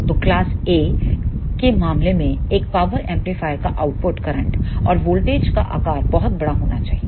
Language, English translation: Hindi, So, in case of class A power amplifiers the output current and voltage shape should be very large